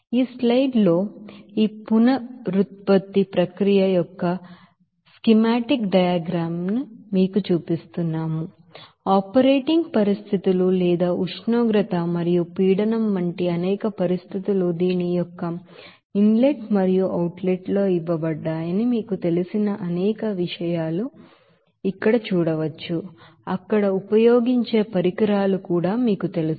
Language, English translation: Telugu, So here in this slide in this you know schematic diagram of this regeneration process, you will see that there are several you know that operating conditions or several conditions like temperature and pressure are given in the inlet and outlet of this you know several you know equipments which are being used there